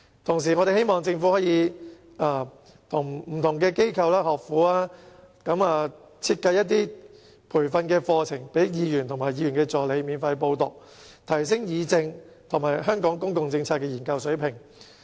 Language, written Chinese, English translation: Cantonese, 同時，我們希望政府可以與不同機構和學府設計培訓課程予區議員及其助理免費報讀，以提升議政和香港公共政策研究的水平。, At the same time we hope that the Government can design training programmes in conjunction with various organizations and educational institutions for DC members and their assistants to enrol in free of charge so as to raise the standard of political participation and public policy research in Hong Kong